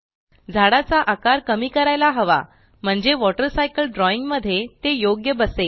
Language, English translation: Marathi, Now, we should reduce the size of the tree so that it fits in the Water Cycle drawing